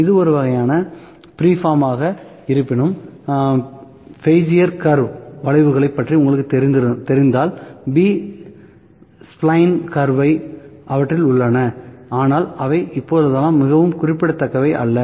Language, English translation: Tamil, This is a kind of freeform, ok however, if we know about; if you know about the curves the Bezier curve, b spline curve those are also there, but nowadays those are also not very significant